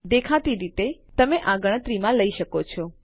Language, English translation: Gujarati, Obviously you can take this into account